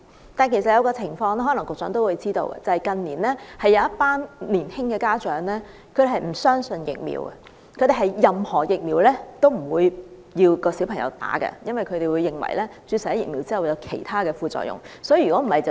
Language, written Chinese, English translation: Cantonese, 此外，有一個情況局長可能也知道，即近年有一群年輕的家長不相信疫苗，不讓小朋友注射任何疫苗，因為他們認為注射疫苗後會有其他副作用。, Besides the Secretary may also be aware that in recent years some young parents do not believe in vaccination and refuse to let their children be vaccinated for fear of the side effects arising from vaccination